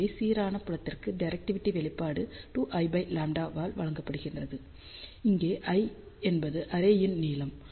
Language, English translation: Tamil, So, directivity expression for uniform field is given by 2 times l by lambda, where l is the length of the array